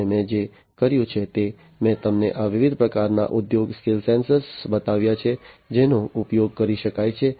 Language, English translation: Gujarati, And what I have done is I have shown you these different types of industry scale sensors that could be used